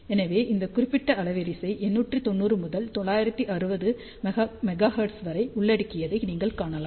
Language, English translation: Tamil, So, you can see that this particular bandwidth covers 890 to 960 megahertz